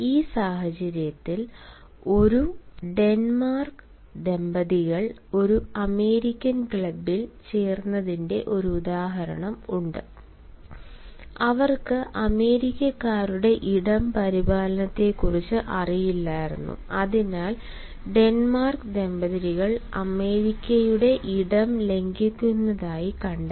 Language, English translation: Malayalam, in this context, there is one example: while a denmark couple joined an american club, they were unaware of the space maintenance of americans and hence the denmark couple were found to violate the americans space